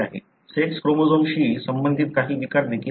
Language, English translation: Marathi, There are disorders as well associated with the sex chromosomes